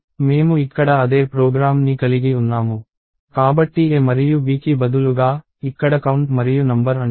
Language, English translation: Telugu, So, I have the same program here, so instead of a and b, it is called count and number here